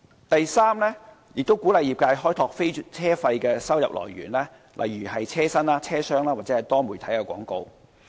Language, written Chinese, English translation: Cantonese, 第三，運輸署鼓勵業界開拓非車費的收入來源，例如車身、車廂或多媒體廣告。, Thirdly TD encourages the trade to open up sources of non - fare revenue such as advertisements on the exterior of vehicles and the interior of the passenger compartment or multimedia advertisements